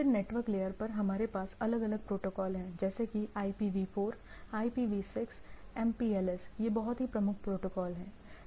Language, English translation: Hindi, Then at the network layer we have different protocols like IPv4, IPv6, MPLS; these are the very prominent protocols